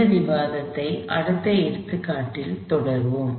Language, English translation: Tamil, We will continue this discussion in next example